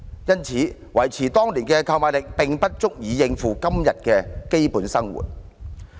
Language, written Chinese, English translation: Cantonese, 因此，維持當年的購買力並不足以讓受助人應付今天的基本生活需要。, Hence even if the purchasing power back then is maintained the payments will not be sufficient for meeting the basic needs of recipients today